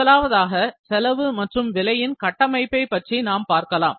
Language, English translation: Tamil, So, first I will discuss, cost and price structure